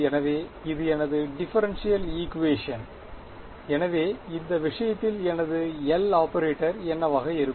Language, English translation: Tamil, So that is my differential equation, so in this case for example, what will my L operator be